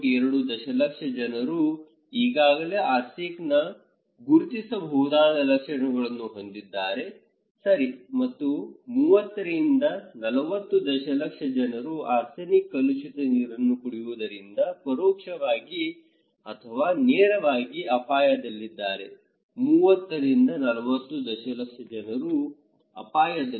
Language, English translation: Kannada, 2 million people of Bangladesh already recognised identifiable symptoms of arsenic, okay and 30 to 40 million people are at risk indirectly or directly because they are drinking arsenic contaminated water, it is not a small number, 30 to 40 million population